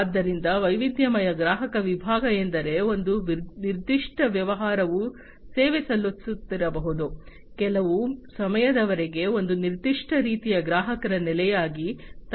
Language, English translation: Kannada, So, diversified customer segment means like you know a particular business might be serving, a particular type of customer base for some time